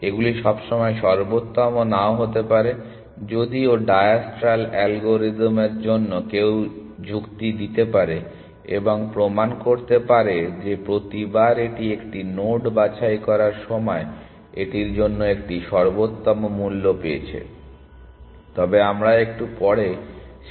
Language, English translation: Bengali, They may not necessarily be optimal though for diastral algorithm one can argue and prove that every time it picks a node it has found an optimal cost for that, but we will come back to that argument a little bit later